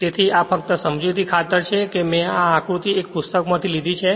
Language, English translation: Gujarati, So, this is just for the sake of explanation I have taken this diagram from a book right